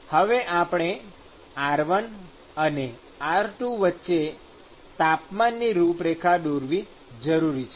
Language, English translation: Gujarati, I want to now draw the temperature profile between r1 and r2